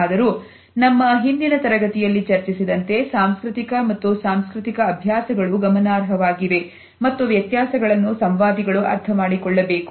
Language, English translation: Kannada, However, as we have commented in our previous module also, the cultural as well as institutional practices are significant and these differences should be understood by the interactants